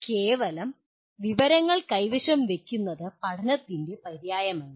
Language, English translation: Malayalam, So possession of mere information is not synonymous with learning